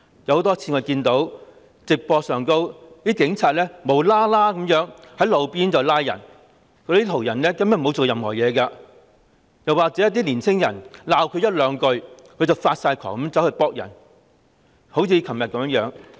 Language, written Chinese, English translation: Cantonese, 我們多次從直播中看到警察無故在路邊拘捕沒有做過任何事的途人，又或是當他們被年青人指罵一句半句，便發狂地用警棍打人。, From live broadcasts we have seen repeatedly the police arresting passers - by who had done nothing on the roadside or beating up a young man frantically with batons just because that he had pointed at them and faintly voiced grievances